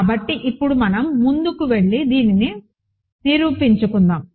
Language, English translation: Telugu, So, now, let us go ahead and prove this